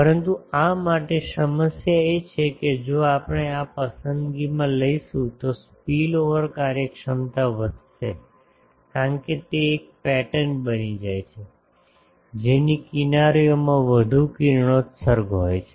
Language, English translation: Gujarati, But the problem for this is if we take this choice then the spillover efficiency gets increased because that becomes a pattern which has much more radiation in the edges